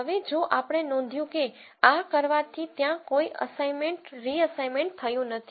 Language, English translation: Gujarati, Now, if we notice that by doing this there was no assignment reassignment that happened